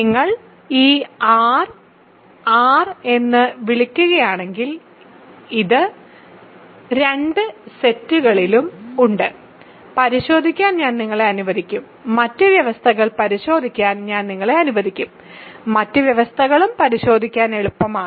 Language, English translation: Malayalam, So, this is also in the set if you call this R R and I will let you to check; I will let you check the other conditions, other conditions are easy to check also